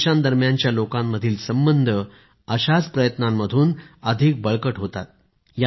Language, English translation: Marathi, The people to people strength between two countries gets a boost with such initiatives and efforts